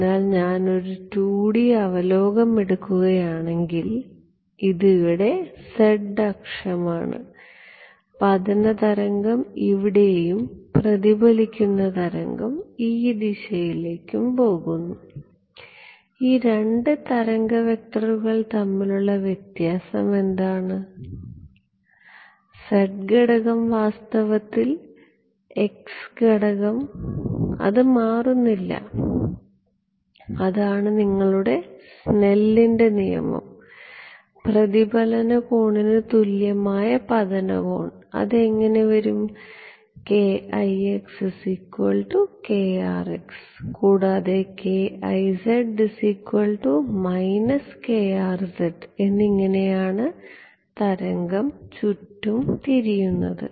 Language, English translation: Malayalam, So, supposing I if I take a 2D view, this is the z axis over here and incident wave comes over here and the reflected wave goes in this direction, what is different between these two wave vectors, the z component, the x component in fact, does not change, that is your Snell’s law, angle of incidence equal to angle of reflection, how will that come, k ix is equal to k rx and k iz is equal to minus k rz, that is how the wave turns around right